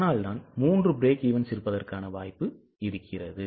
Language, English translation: Tamil, That is why there was a possibility of having three break evens